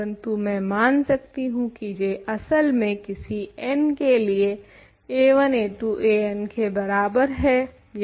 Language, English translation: Hindi, But, I can assume that J is actually equal to a 1, a 2, a n for some n ok